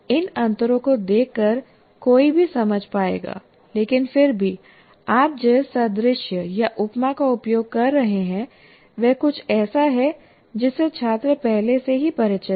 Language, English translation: Hindi, So by looking at these differences, one will be able to understand, but still the analogy or the simile that you are using is something that students are already familiar with